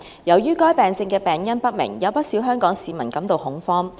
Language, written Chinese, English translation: Cantonese, 由於該病症的病因不明，有不少香港市民感到恐慌。, As the cause of the disease is unknown quite a number of Hong Kong people are in panic